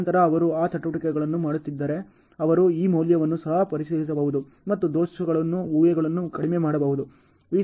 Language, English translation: Kannada, And then so that if they are doing those activities they can also cross check this value and then the errors are assumptions can be made minimal